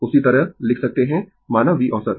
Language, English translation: Hindi, Same way, you can make say V average right